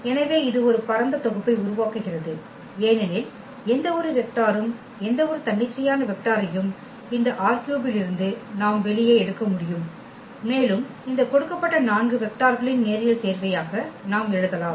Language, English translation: Tamil, So, this forms a spanning set because any vector any arbitrary vector we can pick from this R 3 space and we can write down as a linear combination of these given 4 vectors